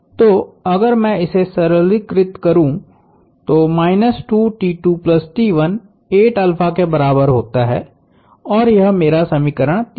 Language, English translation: Hindi, So, if I simplify this minus T 2 minus 2 T 2 plus T 1 equals 8 alpha and that is my equation 3